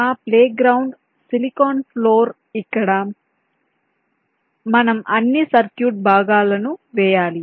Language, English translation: Telugu, we have our play ground, which is the silicon floor, where we have to lay out all the circuit components